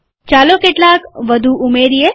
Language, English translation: Gujarati, Lets add some more